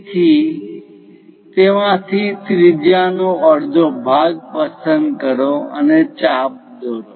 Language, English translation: Gujarati, So, pick a radius half of that, make an arc